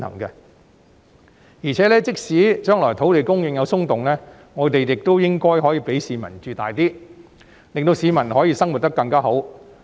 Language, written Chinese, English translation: Cantonese, 而且，即使將來土地供應有"鬆動"，我們亦應該讓市民居住空間大一點，令市民可以生活得更好。, Moreover even if the supply of land will be eased off we should allow people to enjoy a bigger living space so that they can have a better life